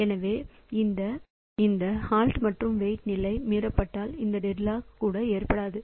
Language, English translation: Tamil, So, this hold and weight condition if it is violated then also this deadlock cannot occur